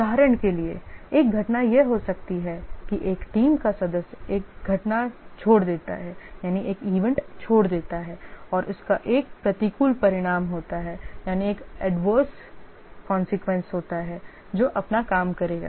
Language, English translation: Hindi, For example, one event may be that a team member lives, that's an event, and that has an adverse consequence that who will do his work